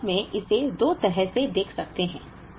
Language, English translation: Hindi, We can actually look at it in two ways